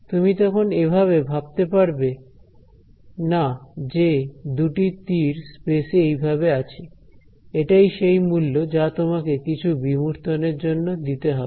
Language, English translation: Bengali, You can no longer visualize it as two arrows in space ok, but that is the price you are paying for some abstraction